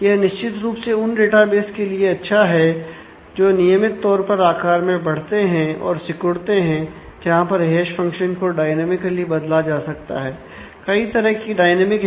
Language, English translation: Hindi, So, it is certainly good for databases that regularly grows and shrinks in size, allows the hash function to be modified dynamically